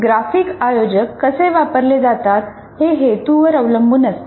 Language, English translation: Marathi, So how graphic organizers are used depends on the objective